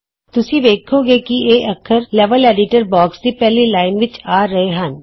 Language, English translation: Punjabi, Notice, that these characters are displayed in the first line of the Level Editor box